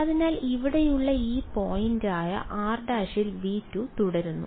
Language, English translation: Malayalam, So, r prime which is this point over here stays in V 2